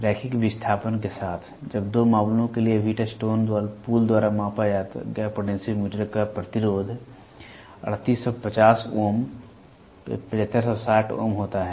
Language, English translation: Hindi, With the linear displacement, when the resistance of the potentiometer as measured by Wheatstone bridge for two cases are 3850 ohms, 7560 ohms